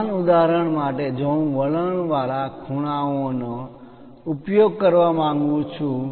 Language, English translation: Gujarati, For the same example, if I would like to use inclined angles